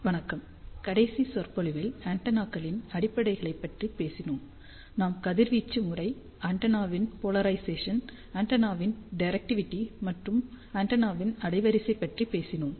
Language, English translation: Tamil, Hello, in the last lecture, we talked about fundamentals of antennas; we talked about radiation pattern of the antenna, polarization of the antenna, directivity of the antenna and also bandwidth of the antenna